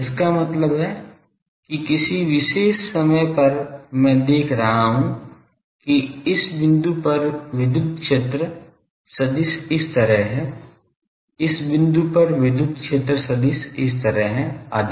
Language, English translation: Hindi, That means, at a particular time I am seeing that at this point electric vector is like this, at this point electric vector is like this etc